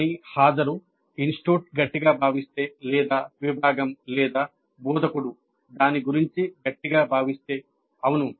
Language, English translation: Telugu, But attendance probably yes if the institute strongly feels or if the department or the instructor strongly feel about it